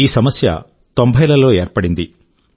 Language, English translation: Telugu, This problem pertains to the 90s